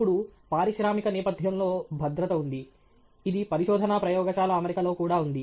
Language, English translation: Telugu, Now, safety is there in industrial setting; it is also there in research lab setting